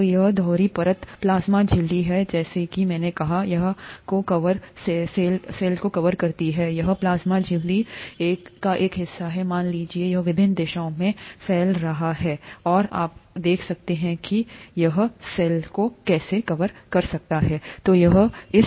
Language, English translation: Hindi, So this is the double layer plasma membrane as I said, it covers the cell, this is a part of the plasma membrane, assume that it is extending in various directions, and you see how it can cover the cell